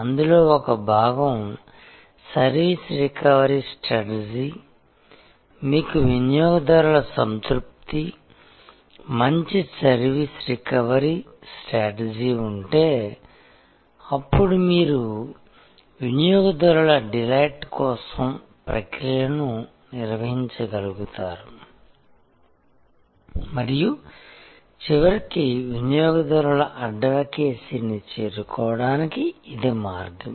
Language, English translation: Telugu, And in that, one part of that is the service recovery strategy and if you have customer satisfaction, good service recovery strategy, then you are able to over lay the processes for customer delight and that is the pathway ultimately to reach customer advocacy and we are going to discuss today many issues relating to this journey